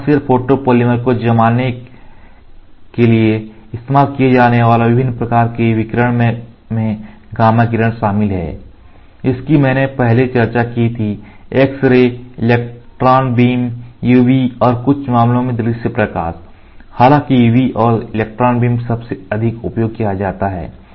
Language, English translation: Hindi, The various types of radiation maybe used to cure commercial photopolymers include gamma ray which I discussed earlier, X ray, electron beam, UV and in some cases visible light, although UV and electron beam are most commonly used